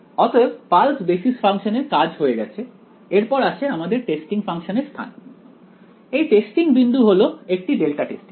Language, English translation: Bengali, So, the pulse basis the basis function is done clear next comes the location of the testing function, the testing point is a delta testing